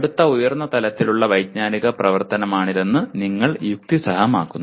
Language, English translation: Malayalam, You rationalize that is next higher level cognitive activity